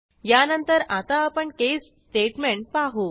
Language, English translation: Marathi, Let us look at the case statement next